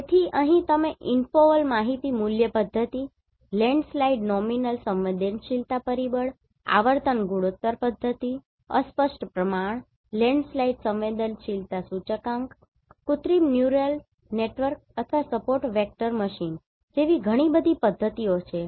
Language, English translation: Gujarati, So here, you may use InfoVal Information Value Method, Landslide Nominal Susceptibility Factor, Frequency Ratio Method, Fuzzy Ratio, Landslide Susceptibility Index, Artificial Neural Network or Support Vector Machine, there are many different methods